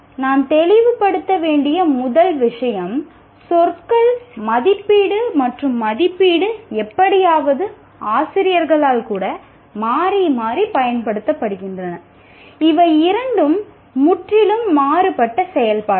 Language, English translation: Tamil, First thing we need to clarify is the words assessment and evaluation somehow are used interchangeably by even by the teachers